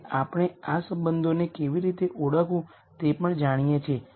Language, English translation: Gujarati, And we also know how to identify these relationships